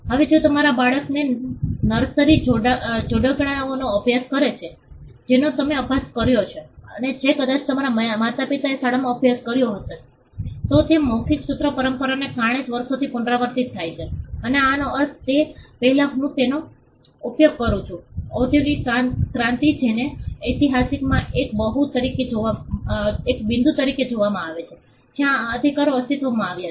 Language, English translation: Gujarati, Now if your children are studying nursery rhymes which you studied and which probably your parents studied in school, that is because of the oral formulaic tradition they are the same ones which gets repeated over the years and this used to be a just before I mean the industrial revolution which is seen as a point in history where these rights came into being